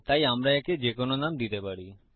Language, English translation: Bengali, So we can give this any name